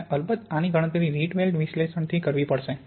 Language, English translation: Gujarati, And of course these would have to be calculated in these Rietveld analysis